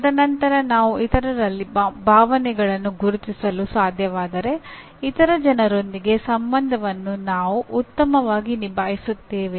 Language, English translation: Kannada, And then if I am able to recognize emotions in others, I can handle the relations with other people much better